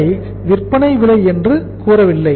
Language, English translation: Tamil, We do not call it as the selling price